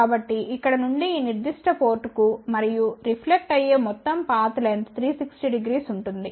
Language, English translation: Telugu, So, total path length from here to this particular port and reflected will be about 368 degree